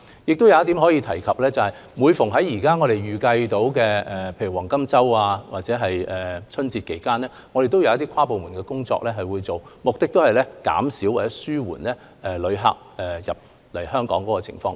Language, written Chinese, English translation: Cantonese, 我亦想在此提述另一點，當我們預計在黃金周或春節期間會有大量旅客訪港時，我們會進行跨部門工作，目的是減少或紓緩旅客來港的情況。, I also wish to bring up another point here . When we foresee large numbers of inbound visitors during the Golden Week or the Chinese Lunar New Year holiday we will undertake inter - departmental work with the aim of reducing or alleviating the entry of visitors into Hong Kong